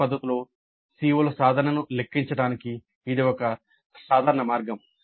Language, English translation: Telugu, But this is one simple way of computing the attainment of COs in an indirect fashion